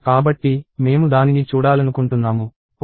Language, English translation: Telugu, So, maybe I want to see that, “Oh